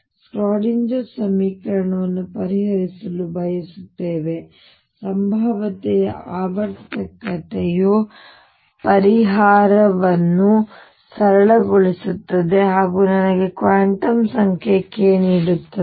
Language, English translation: Kannada, And we want to solve the Schrödinger equation in this the periodicity of the potential makes a solution simple as well as it gives me a new quantum number k